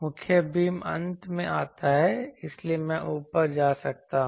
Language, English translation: Hindi, , the main beam comes at the end so, there I can go up